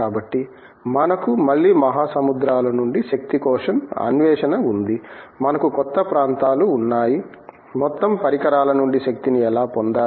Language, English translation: Telugu, Again the quest for energy from the oceans, we have the new areas, how to tap energy from the waves